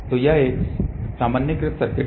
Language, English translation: Hindi, So, that is a normalized circuit